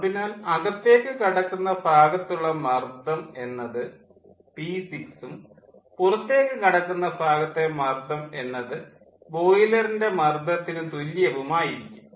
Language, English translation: Malayalam, so inlet pressure will be p six and outlet pressure will be equal to the boiler pressure